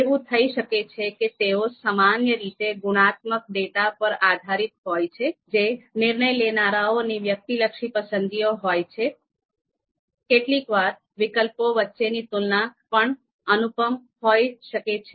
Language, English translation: Gujarati, Now what might happen because these are typically based on qualitative data which is subjective preferences of decision makers, so sometimes comparison between alternatives might be you know incomparable